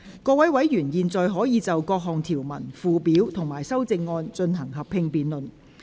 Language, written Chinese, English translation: Cantonese, 各位委員現在可以就各項條文、附表及修正案，進行合併辯論。, Members may now proceed to a joint debate on the clauses schedules and amendments